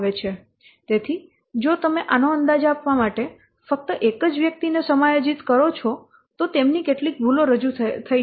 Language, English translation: Gujarati, So if you are just giving only one person to estimate this, some there is some chance that errors may be introduced